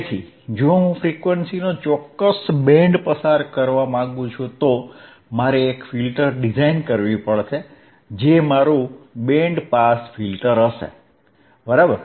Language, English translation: Gujarati, So, if I want to pass a certain band of frequency, then I hadve to design a filter which is which will be my band pass filter, right